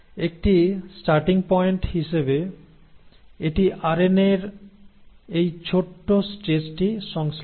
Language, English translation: Bengali, So it synthesises this small stretch of RNA as a starting point